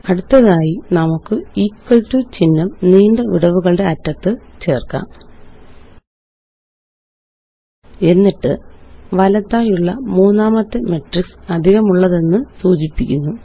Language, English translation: Malayalam, Next let us add an equal to symbol at the end with long gaps And then the third matrix on the right denoting the addition